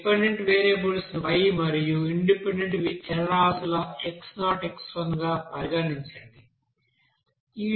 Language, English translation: Telugu, Let us consider that dependent variables as y and independent variables are x0, x1 like this